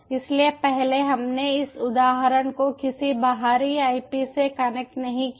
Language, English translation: Hindi, so first, ah, we havent connect this ah, ah, this instance, to any ah external ip